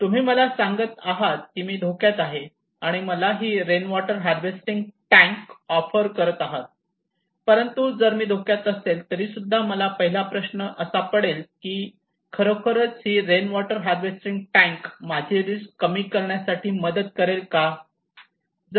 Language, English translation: Marathi, You are talking to me that I am at risk and offering me this rainwater harvesting tank, but the first question came to me okay even if I am at risk, will this rainwater tank will help me to reduce my risk